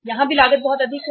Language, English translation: Hindi, Here also the cost is very high